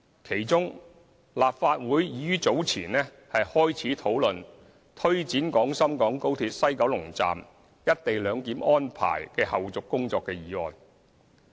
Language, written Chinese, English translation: Cantonese, 其中，立法會已於早前開始討論推展廣深港高鐵西九龍站"一地兩檢"安排的後續工作的議案。, Among the works carried out the Legislative Council has already commenced discussions earlier on the motion on taking forward the follow - up tasks of the co - location arrangement at the West Kowloon Station of XRL